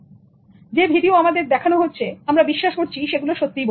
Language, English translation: Bengali, So what the video shows you, we believe that is the real one